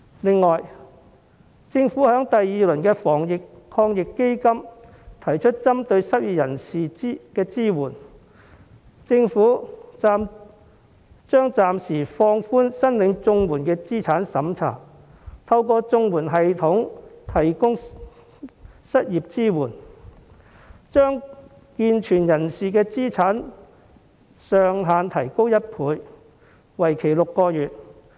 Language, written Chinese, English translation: Cantonese, 此外，政府在第二輪防疫抗疫基金中提出針對失業人士的支援，將會暫時放寬申領綜援的資產審查，透過綜援系統提供失業支援，把健存人士的資產上限提高1倍，為期6個月。, In addition the Government proposed in the second round of the Anti - epidemic Fund a temporary relaxation of the asset limits for able - bodied applicants of CSSA by 100 % for six months to support the unemployed